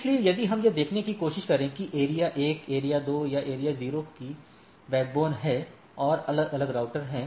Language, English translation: Hindi, So, if we try to see say there are area 1, area 2 and a backbone of area 0 and there are different different routers